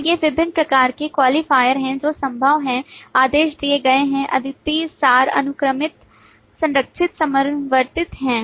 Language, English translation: Hindi, And these are the various different types of qualifiers are possible: ordered, unique, abstract, sequential, guarded, concurrent